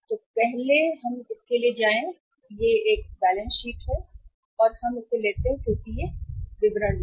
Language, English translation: Hindi, So first we go for the, this is the balance sheet and we take it as this is in the uh particulars